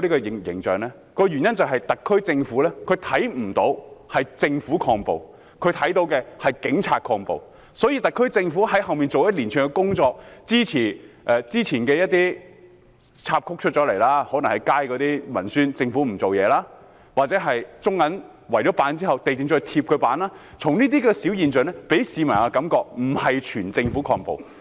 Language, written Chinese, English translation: Cantonese, 原因是他們看不到政府抗暴，他們看到的是警察抗暴，所以特區政府在背後所做的一連串工作，之前出現的一些插曲，可能是街上的文宣，指政府無所作為，又或是中國銀行以木板圍封後被地政總署要求拆除，這些現象均令市民覺得並非整個政府在抗暴。, Because they cannot see the Governments efforts at countering violence they can only see the Police counter violence . As a result despite the series of initiatives undertaken by the SAR Government at the back some episodes have taken place before maybe the publicity materials on the streets accusing the Government of inaction or the case in which the Bank of China was requested by the Lands Department to remove the wooden panels erected to seal up its branch offices . All of these phenomena have made members of the public feel that the Government is not countering violence in unison